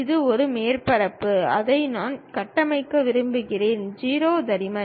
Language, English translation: Tamil, It is a surface what we would like to construct it, 0 thickness